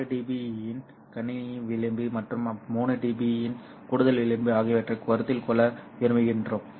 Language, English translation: Tamil, But we want to consider a system margin of 6 dB and an excess margin of 3 dB